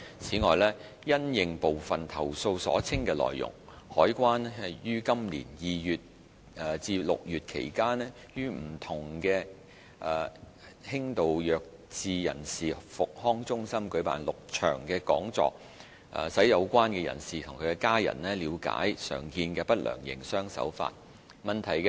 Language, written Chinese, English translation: Cantonese, 此外，因應部分投訴所稱的內容，海關於今年2月至6月期間，於不同的輕度弱智人士復康中心舉辦6場講座，使有關人士及其家人了解常見的不良營商手法。, Moreover taking into account the allegations in some complaints CED held six seminars at rehabilitation centres for persons with mild mental handicap from February to June this year to help them and their family members understand common unfair trade practices